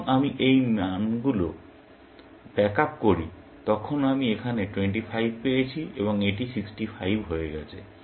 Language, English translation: Bengali, When I back up these values, I got 25 here, and that became 65